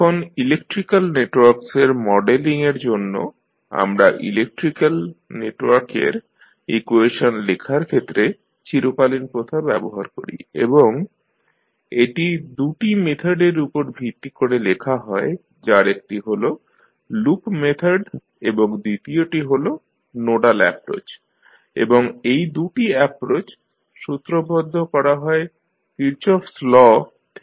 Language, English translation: Bengali, Now, for modeling of electrical networks, we use the classical way of writing the equation of electrical network and it was based on the two methods one was loop method and second was nodal approach and these two approach are formulated from the Kirchhoff’s law